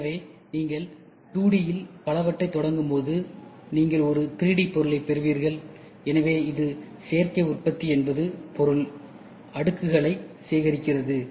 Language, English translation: Tamil, So, then when you start several of the 2D, you get a 3D object, so that is nothing but additive manufacturing adds layers of material